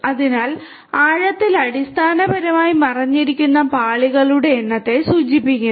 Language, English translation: Malayalam, So, deep basically refers to the number of hidden layers